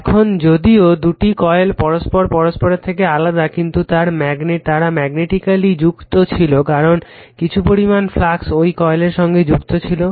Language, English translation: Bengali, Now, although the 2 coils are physically separated they are said to be magnetically coupled right because , flux part of the flux is linking also the other coil